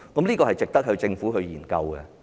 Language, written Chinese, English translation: Cantonese, 這是值得政府研究的。, The issue is worth exploring